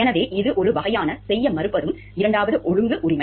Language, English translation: Tamil, So, this is a kind of second order right